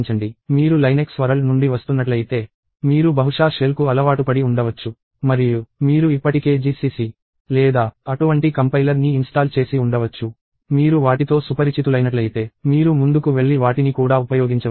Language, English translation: Telugu, If you are coming from the Linux world, you are probably used to the shell and you very likely have a GCC or some such compiler installed already; you can go ahead and use those also if you are familiar with them